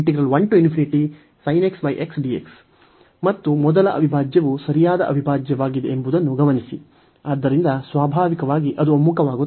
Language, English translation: Kannada, And note that the first integral is is a proper integral, so naturally it converges